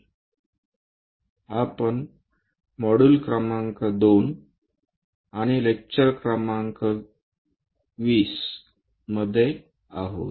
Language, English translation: Marathi, We are in module number 2 and lecture number 20